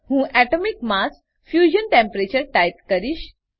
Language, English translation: Gujarati, I will type Atomic mass – Fusion Temperature